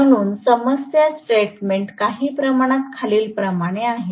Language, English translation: Marathi, So, the problem statement goes somewhat as follows